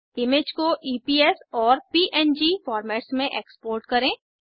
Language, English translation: Hindi, Export the image as EPS and PNG formats